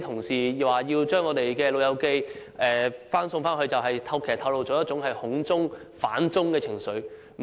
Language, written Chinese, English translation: Cantonese, 有議員在討論將長者送返內地時反映出一種"恐中"、"反中"的情緒。, When discussing the idea of sending elderly people to the Mainland some Members showed a sinophobic or anti - Chinese sentiment